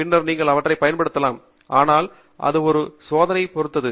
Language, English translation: Tamil, Then, you can use them, but it depends on your experiments